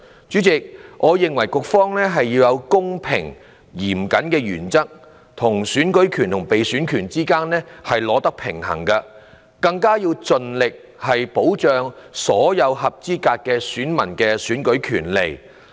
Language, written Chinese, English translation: Cantonese, 主席，我認為局方要在"公平、嚴謹"的原則與選舉權和被選權之間取得平衡，要盡力保障所有合資格選民的選舉權利。, President with the principles of fairness and stringency on the one hand and the right to vote and the right to stand for election on the other I think the authorities should strike a balance to protect the voting rights of eligible electors as far as possible